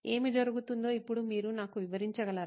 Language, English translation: Telugu, Now can you explain to me what’s happening